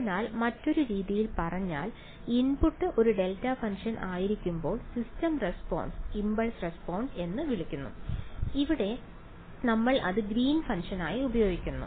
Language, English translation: Malayalam, So, in other words the system response when the input is a delta function is called the impulse response and in this language that we are using now its called the greens function